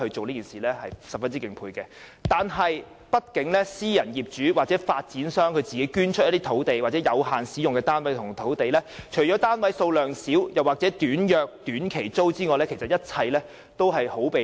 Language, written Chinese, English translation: Cantonese, 然而，由於畢竟要靠私人業主或發展商捐出有限期使用的單位或土地，除了單位數量少又或租約短，一切也相當被動。, However since the project is only viable with private landlords or developers donating housing units or land lots for occupation for a limited period of time the number of units is limited or the tenancy is short rendering the entire project very passive